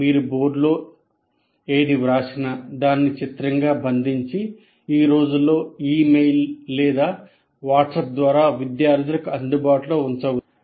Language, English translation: Telugu, These days, you can capture that and pass it on to the students through emails or through WhatsApp these days